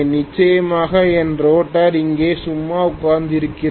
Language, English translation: Tamil, Of course my rotor is here sitting idle